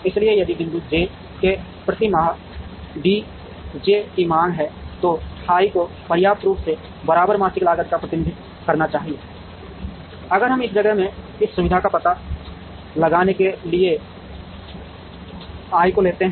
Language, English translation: Hindi, So, if D j is demand per month in point j then f i should adequately represent, the equivalent monthly cost, if we were to locate this facility in this place i